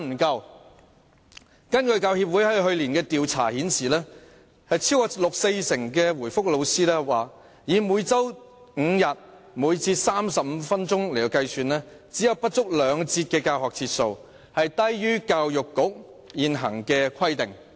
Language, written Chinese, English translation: Cantonese, 教協去年進行的調查顯示，超過四成老師指出，以每周5天，每節35分鐘計算，中史科的教學節數不足兩節，低於教育局現行規定。, According to a survey conducted by the Hong Kong Professional Teachers Union last year more than 40 % of teachers pointed out that on the basis of five days a week and 35 minutes per lesson there were less than two lessons for Chinese History; lower than the current requirement of the Education Bureau